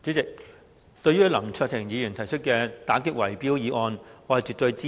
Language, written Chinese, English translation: Cantonese, 代理主席，對於林卓廷議員提出的打擊圍標議案，我絕對支持。, Deputy President I absolutely support the motion proposed by Mr LAM Cheuk - ting on combating bid - rigging